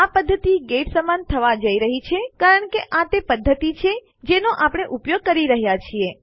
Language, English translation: Gujarati, This method is going to equal get because thats the method were using